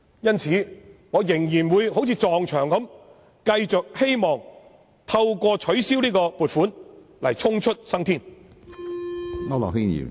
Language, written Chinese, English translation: Cantonese, 因此，我仍然會好像把頭撞向牆壁般，繼續試圖透過建議取消這項撥款預算開支來逃出生天。, Hence I will keep ramming my head against the wall and try to find a way out of this dilemma by proposing to cut the estimated expenditure for this purpose